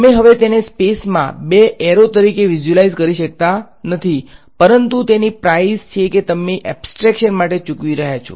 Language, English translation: Gujarati, You can no longer visualize it as two arrows in space ok, but that is the price you are paying for some abstraction